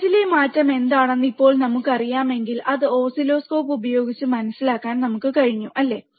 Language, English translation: Malayalam, So now if we know what is the change in the voltage, that we can understand using oscilloscope, right